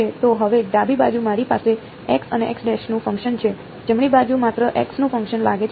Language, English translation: Gujarati, So now, on the left hand side I have a function of x and x prime, right hand side seems to be only a function of x